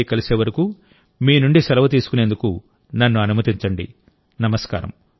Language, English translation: Telugu, I take leave of you till the next episode of 'Mann Ki Baat'